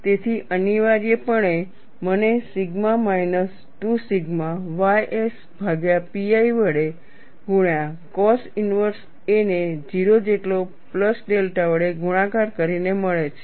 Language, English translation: Gujarati, So, essentially, I get sigma minus 2 sigma ys divided by pi multiplied by cos inverse a by a plus delta equal to 0